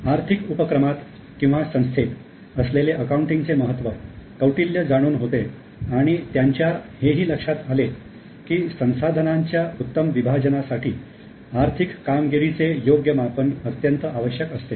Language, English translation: Marathi, He recognized the importance of accounting in economic enterprises and he realized that proper measurement of economic performance is extremely essential for efficient allocation of resources